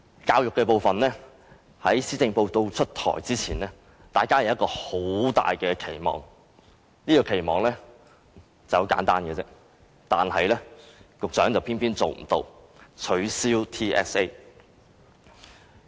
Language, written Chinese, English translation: Cantonese, 教育的部分，在施政報告出台前，大家均有很大的期望，這個期望很簡單，但教育局局長偏偏無法做得到，便是取消 TSA。, Before the Policy Address was delivered people have a great expectation on education . Their expectation is simple enough that is to abolish the Territory - wide System Assessment TSA but the Secretary of Education just failed to deliver